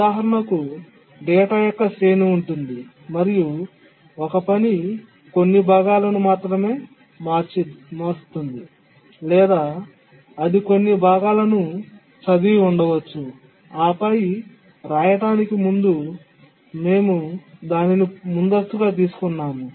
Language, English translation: Telugu, Just look at the example of a array of data and then one task has changed only some part or maybe it has just raid some part and then before it could write we preempted it